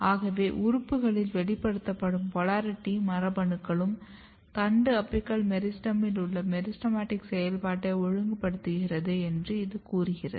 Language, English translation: Tamil, So, this suggest that the polarity genes which are expressed in the organ they are also regulating the meristematic function in the shoot apical meristem